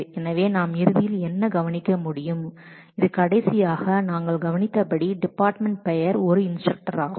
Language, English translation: Tamil, So, what we can eventually observe from this that again as we observed last time department name is an is an instructor